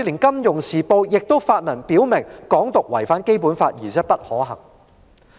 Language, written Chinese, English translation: Cantonese, 《金融時報》也曾發文表明，"港獨"違反《基本法》而且不可行。, The Financial Times has also stated in an article that Hong Kong independence violates the Basic Law and is unfeasible